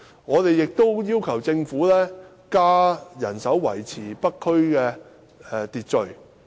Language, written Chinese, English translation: Cantonese, 我們亦要求政府增加人手維持北區的秩序。, We also request the Government to increase the manpower for maintaining order in the North District